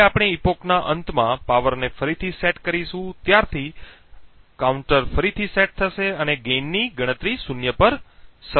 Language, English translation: Gujarati, Now since we reset the power at the end of the epoch the counter would reset and start counting gain to zero